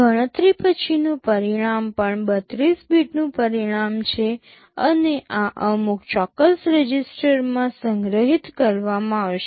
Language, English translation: Gujarati, The result after the calculation is also a 32 bit result and this will be stored in some particular register